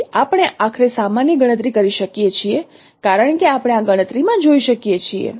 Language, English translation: Gujarati, So we can finally you can compute the normal as you can see into this computation